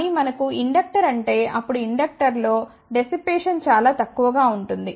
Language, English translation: Telugu, But if we have a inductor, then the dissipation in the inductor will be relatively small